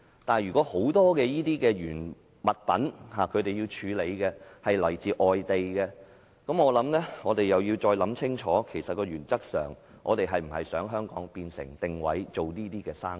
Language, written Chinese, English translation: Cantonese, 但是，如果業界要處理大量來自外地的廢物，我們便要再想清楚，原則上，我們是否想香港定位做這些生意？, However if the industry is going to deal with large quantities of imported waste we have got to think about it carefully . In principle do we wish Hong Kong to be positioned for such business?